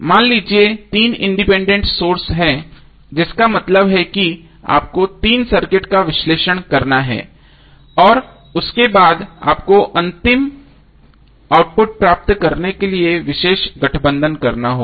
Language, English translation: Hindi, Suppose if there are 3 independent sources that means that you have to analyze 3 circuits and after that you have to combine to get the final output